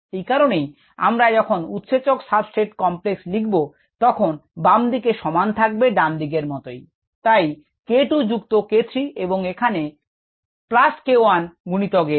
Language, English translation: Bengali, and therefore the concentration of the enzyme substrate complex is the left hand side divided by the ah factor, here k two plus k three plus k one times s